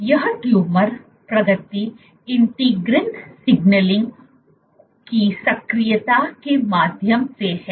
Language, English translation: Hindi, So, you will lead this leads to and this tumor progression is via activation of integrin signaling